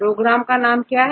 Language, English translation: Hindi, So, what is the name of the program